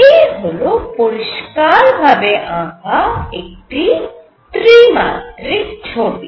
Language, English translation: Bengali, This is the full glorified 3 dimensional view